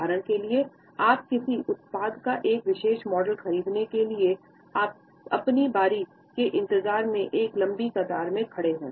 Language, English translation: Hindi, For example, you have been standing in a long queue waiting for your turn to get a particular model of a product